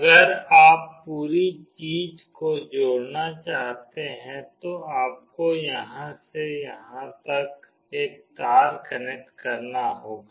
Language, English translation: Hindi, If you want to connect the whole thing you have to connect a wire from here till here